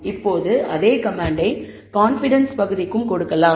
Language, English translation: Tamil, Now, with the same command, we can give the confidence region as well